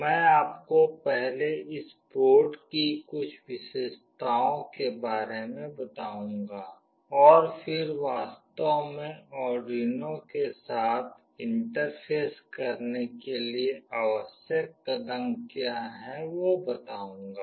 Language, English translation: Hindi, I will just show you some of the features of this board first and then what are the steps that are required to actually interface with Arduino